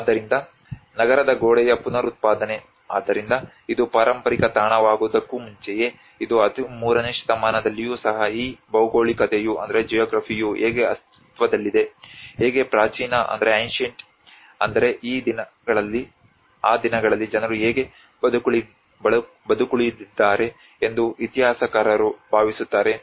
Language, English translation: Kannada, So reproduction of a city wall; so historians think that how this geography was existing even before this has become a heritage site even in 13thcentury how the ancient I mean those days how people have survived